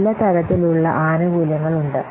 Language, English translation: Malayalam, Benefits are of different types